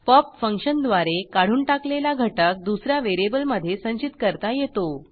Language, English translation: Marathi, The element removed by pop function can be collected into another variable